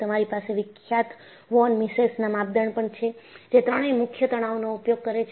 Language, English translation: Gujarati, So, you have the famous von Mises criterion, which uses all the three principal stresses